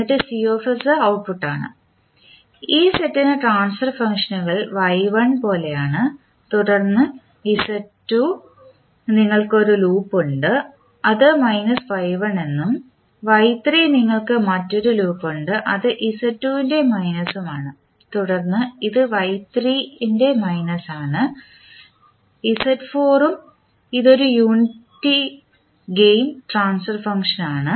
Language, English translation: Malayalam, And, then you have the output say Cs and the transfer functions are like Y1 for this set, then Z2 you have a loop which is say minus Y1 then Y3 you have another loop which is minus of Z2 and then this is minus of Y3, then Z4 and this is a unity gain the transfer function